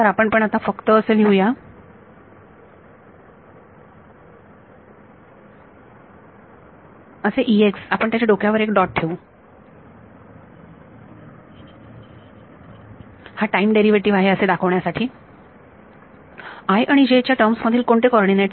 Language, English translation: Marathi, So, we will just write this as E naught E x we will put a dot on top to indicate time derivative, what coordinates in terms of i and j